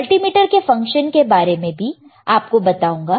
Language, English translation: Hindi, And I will show it to you, the functions of the multimeter